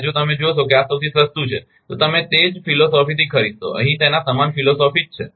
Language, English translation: Gujarati, And if you see this is the cheapest one naturally you will buy that right same philosophy here, same philosophy here